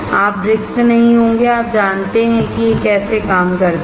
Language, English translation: Hindi, You will not be blank and you know this is how it works